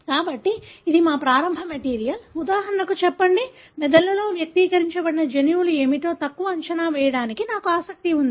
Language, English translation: Telugu, So, this is our starting material, say for example, I am interested in understating what are the genes that are expressed in brain